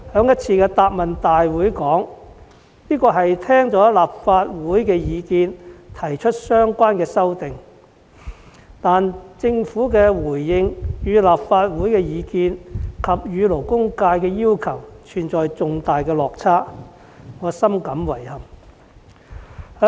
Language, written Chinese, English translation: Cantonese, 在一次行政長官答問會中，特首說相關修訂是聽取立法會的意見而提出的，但政府的回應與立法會的意見及勞工界的要求存在重大落差，令我深感遺憾。, The Chief Executive once said in a Chief Executives Question and Answer Session that the relevant amendment was proposed after listening to the views from the Legislative Council . However the Governments response is in significant discrepancy with the views of the Legislative Council and the demand of the labour sector which is gravely regrettable to me